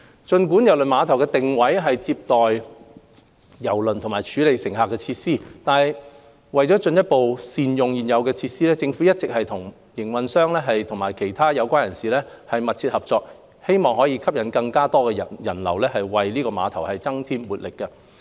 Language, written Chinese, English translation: Cantonese, 儘管郵輪碼頭的定位是接待郵輪和處理乘客的設施，但為進一步善用現有的設施，政府一直與碼頭營運商和其他相關人士緊密合作，以吸引更多人流，為郵輪碼頭增添活力。, Despite the positioning of KTCT is to receive cruise ships and handle passengers the Government in order to better utilize the existing facilities has been working closely with the terminal operator and other parties concerned to attract more people flow and add vibrancy to KTCT